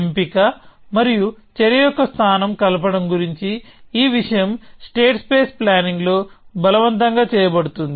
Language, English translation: Telugu, So, this thing about combining the selection and the placement of action is forced in state space planning